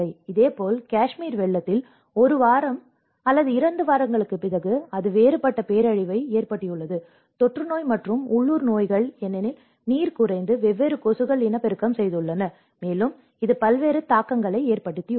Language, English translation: Tamil, Similarly, in Kashmir floods where after one week or two weeks then it has resulted a different set of disaster, the epidemic and endemic diseases because the water have went down and different mosquitos have breed, and it has resulted different set of impacts